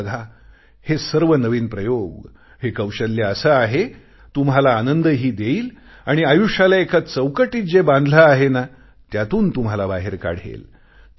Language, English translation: Marathi, You see, all these new experiments, these skills are such that they will bring you joy and will remove you from the limitations of life to which you're tied down